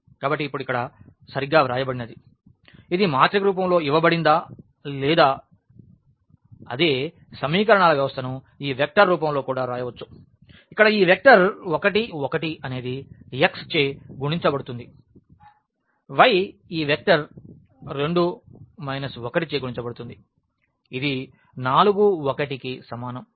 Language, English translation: Telugu, So, now so, this is exactly what is written here that the system of equations whether it is given in the matrix form or we can also write down in this vector form where, x is multiplied to this vector 1 1 y is multiplied to this vector 2 minus 1 is equal to 4 1